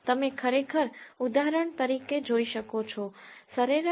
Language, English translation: Gujarati, You can actually see, for example, mean trip length is 19